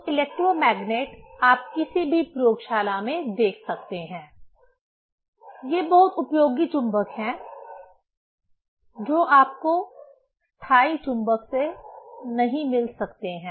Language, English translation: Hindi, So, electromagnet you can see in any laboratory; these are very useful magnet which you cannot get from the permanent magnet